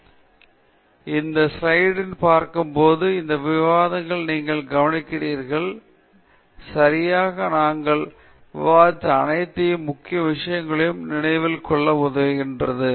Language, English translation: Tamil, So, just when you look at this slide, and you look at this discussion, it quickly helps you recollect all the major things that we have discussed okay